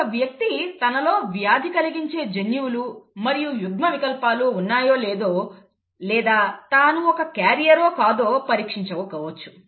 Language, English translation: Telugu, One can get tested for the presence of disease genes and alleles whether you are a a carrier or not